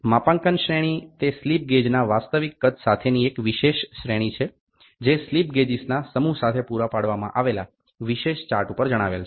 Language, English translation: Gujarati, Calibration grade is a special grade with the actual size of the slip gauge stated on a special chart supplied with the set of slip gauges